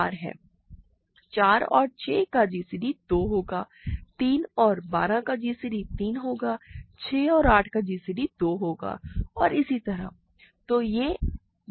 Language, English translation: Hindi, Gcd of 4 and 6 will be 2, gcd of 3 and let us say 12 is 3, gcd of 6 and 8 will be 2 and so on, ok